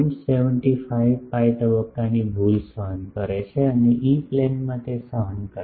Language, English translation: Gujarati, 75 pi phase error and in the E Plane suffer that